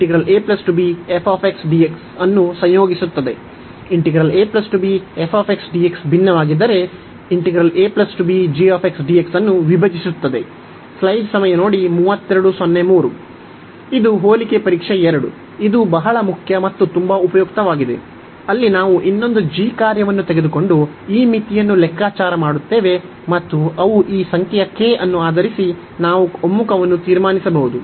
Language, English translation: Kannada, And another this comparison test 2, which was also very important and very useful where we of take a another function g and compute this limit, and they based on this number k, we can conclude the convergence